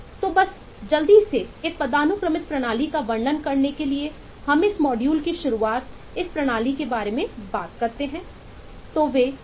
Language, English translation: Hindi, so just to quickly illustrate a hierarchical system, we have talked, we have been talking from the beginning of this module, we have been talking about this systems